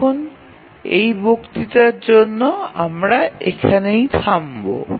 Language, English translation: Bengali, Now for this lecture we will stop here